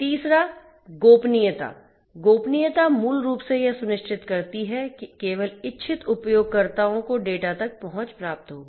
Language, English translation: Hindi, Confidentiality basically ensures that only the intended users will get access to the data